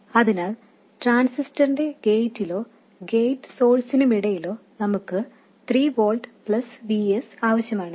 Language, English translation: Malayalam, So, at the gate of the transistor or between the gate source we need to have 3 volts plus VS